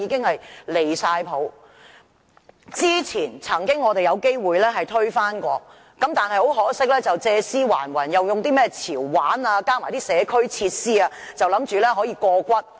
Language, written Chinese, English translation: Cantonese, 我們曾經有機會推翻有關建議，但很可惜，當局借屍還魂，用甚麼"潮玩"及社區設施的理由，以為可以過關。, We once had a chance to turn down the proposal . But it is a pity that the authorities revive this proposal under the pretext of providing trendy and community facilities thinking that they can get their own way